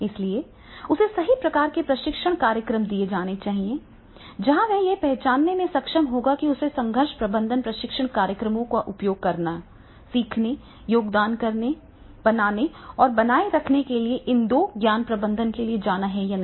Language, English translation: Hindi, So, he should be given the right type of training programs where he will be able to identify whether he has to go for these two knowledge management to get, use, learn, contribute, will and sustain and that type of the training programs